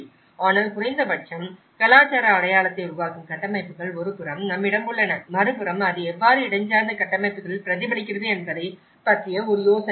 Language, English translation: Tamil, But at least it will get an idea of how, on one side we have the structures that create the cultural identity, on the other side, we have how it is reflected in the spatial structures